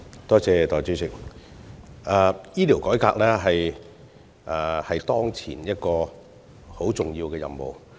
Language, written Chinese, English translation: Cantonese, 代理主席，醫療改革是政府當前一個很重要的任務。, Deputy President healthcare reform is an important task for the Government at the moment